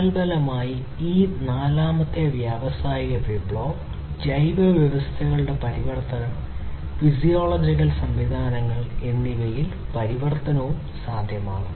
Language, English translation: Malayalam, And consequently transformation has been possible in this fourth industrial revolution age transformation of the biological systems, physiological systems and so on